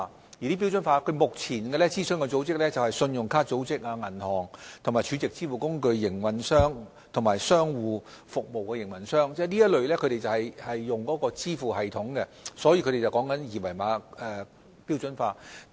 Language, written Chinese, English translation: Cantonese, 就此，金管局目前正諮詢信用卡公司、銀行、儲值支付工具營運商及商戶服務營運商，這些均是會使用支付系統的機構，他們正商討二維碼標準化的事宜。, In this connection HKMA is now consulting credit card companies banks SVF operators and business operators all being organizations which will use such payment systems . They are discussing the standardization of QR codes